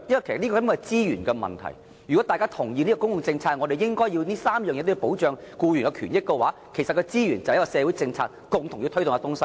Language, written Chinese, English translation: Cantonese, 其實，這是一個資源問題：如果大家同意從公共政策角度而言，這3項對僱員權益的保障應該繼續，那麼我們便要在社會政策上爭取所需的資源。, This is actually a question of resources if we agree from the perspective of public policy that these three measures of protecting employees interests should remain then we should strive for the necessary resources as a matter of social policy